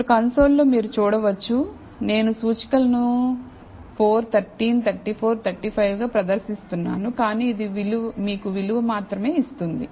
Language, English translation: Telugu, Now So, you can see on the console, I have the indices being displayed as 4 13 34 35, but this will give you only the value